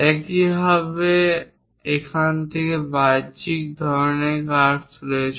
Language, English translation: Bengali, Similarly, there are exterior kind of curves from here